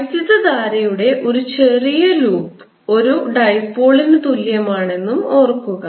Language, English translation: Malayalam, also recall that a small loop of current is equivalent to a dipole